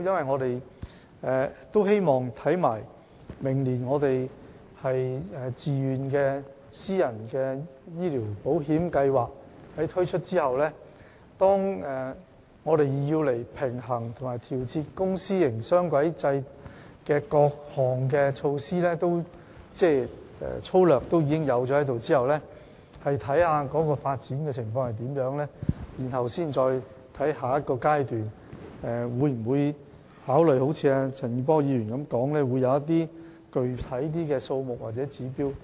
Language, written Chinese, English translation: Cantonese, 我們希望在明年推出自願私人醫療保險計劃後，以及當推動公私營雙軌制平衡發展的各項措施落實後，我們會審視有關發展情況，然後才會在下一個階段考慮會否如陳健波議員剛才所說，制訂具體的病床數目或指標。, We hope to review the relevant situation after we have introduced the private Voluntary Health Insurance Scheme next year and implemented the various measures for promoting the balanced development of the dual - track system . And then we will consider in the next stage whether to set any specific number or indicator for hospital bed as Mr CHAN Kin - por has said just now